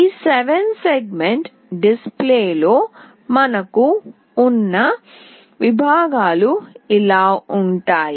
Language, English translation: Telugu, So, these are the segments that we have in this 7 segment display